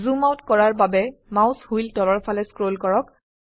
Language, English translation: Assamese, Scroll the mouse wheel downwards to zoom out